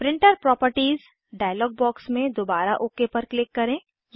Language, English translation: Hindi, Again click OK in the Printer Properties dialog box